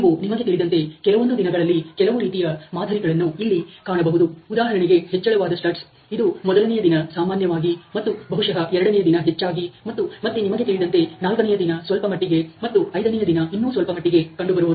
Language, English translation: Kannada, And you may be seeing that you know on certain days there is some kind of pattern here the rays the studs are typically there on day 1, and this most on day 1 probably, and then you know on day 4 to some extent, and then day 5 to some other extent ok